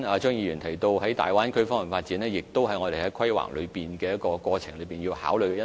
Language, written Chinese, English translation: Cantonese, 張議員剛才提到大灣區的發展，亦是我們在規劃過程中要考慮的因素。, Mr CHEUNG has just mentioned the development of the Bay Area which is also among the factors we need to consider in the course of making planning